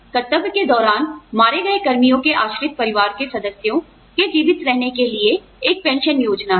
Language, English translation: Hindi, Is a pension schemes, for surviving dependent family members of the personnel, killed in the line of duty